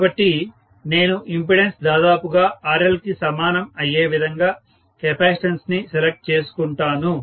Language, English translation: Telugu, So, I am going to choose the capacitance is such a way that this impedance is almost equal to RL itself